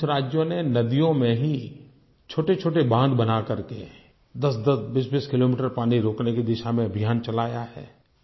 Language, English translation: Hindi, Some states have started a campaign and made a number of small dams at distances of 10 to 20 kilometres in the rivers themselves to check the flow of water